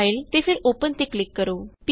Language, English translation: Punjabi, Click on File and Open